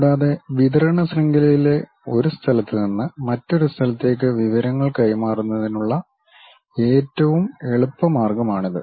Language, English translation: Malayalam, And, this is the easiest way of transferring information from one location to other location in the supply chain